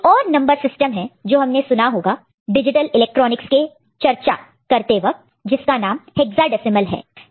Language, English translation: Hindi, And there is another number system you may come across in the digital electronics discussion, that is called hexadecimal